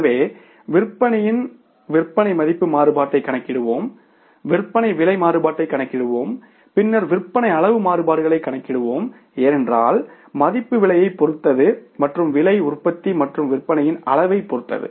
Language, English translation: Tamil, So, in the sales we will calculate the sales value variance, we will calculate the sales price variance and then we will calculate the sales volume variances because value is depending upon the price and price also depends upon the volume of the production and sales